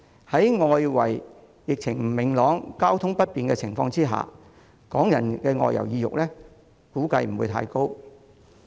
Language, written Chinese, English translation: Cantonese, 在外圍疫情不明朗、交通不便的情況下，港人的外遊意欲估計不會太高。, Given the external uncertainty surrounding the epidemic and traffic disruptions it is anticipated that Hong Kong people will have little desire to travel